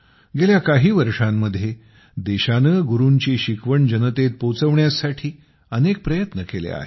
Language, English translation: Marathi, In the last few years, the country has made many efforts to spread the light of Gurus to the masses